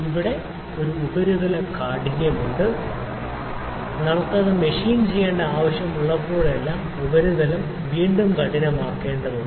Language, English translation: Malayalam, There is a surface hardness there; whenever we need to machine it the surface is again has to be hardened